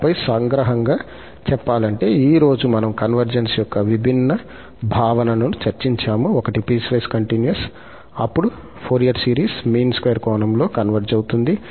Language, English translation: Telugu, And then, just to conclude that today we have discussed different notion of convergence, the one was that if f is piecewise continuous, then the Fourier series converges in the mean square sense